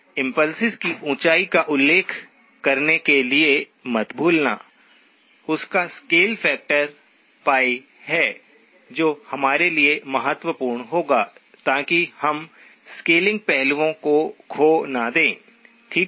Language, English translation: Hindi, Do not forget to mention the height of the impulses, that scale factor is pi, that will be important for us so that we do not lose out on the scaling aspects, okay